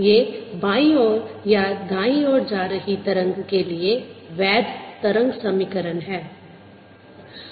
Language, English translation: Hindi, this are valid wave equation for wave travelling to the left or travelling to the right